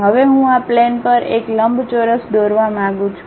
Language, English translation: Gujarati, Now, I would like to draw a rectangle on this plane